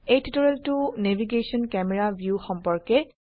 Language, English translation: Assamese, This tutorial is about Navigation – Camera view